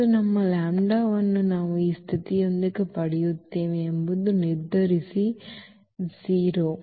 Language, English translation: Kannada, And, note that our lambda which we will get with this condition that the determinant is 0